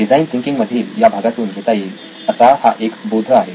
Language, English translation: Marathi, A very exciting portion of design thinking